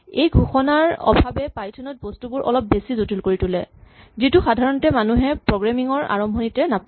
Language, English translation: Assamese, the lack of declaration makes things a little bit more complicated in Python which one doesnÕt normally come across in beginning programming